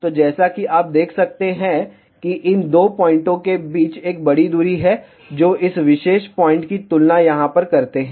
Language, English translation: Hindi, So, as you can see that, there is a large distance between these two points compare to this particular point over here